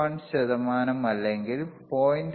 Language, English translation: Malayalam, 201 percent or 0